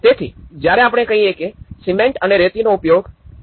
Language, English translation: Gujarati, So, when we say about do not use cement and sand to be less than 1